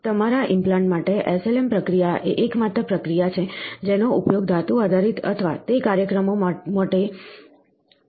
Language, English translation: Gujarati, So, for your implants, SLM process is the only process used for making metal based or parts for those applications